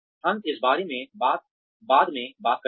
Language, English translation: Hindi, We will talk more about this later